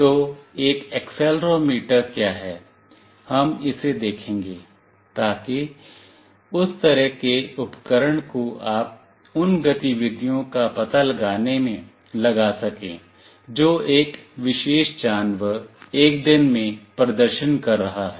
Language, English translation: Hindi, So, what is an accelerometer we will see that, so that kind of device you can put in to find out the activities that a particular animal is performing in a day let us say